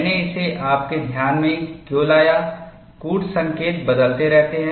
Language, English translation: Hindi, Why I brought this to your attention is, codes keep changing